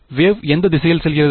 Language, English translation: Tamil, Wave is going in which direction